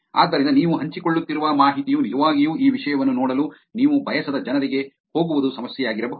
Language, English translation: Kannada, So, it could be a problem the information that you are sharing could actually go to people whom you do not want them to see this content